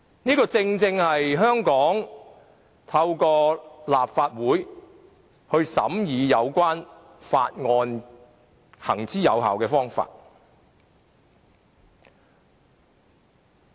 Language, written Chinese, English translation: Cantonese, 這亦正是香港透過立法會審議有關法案的一個行之有效的做法。, This established approach for the Legislative Council of Hong Kong to deliberate on legislative proposals has already been proven effective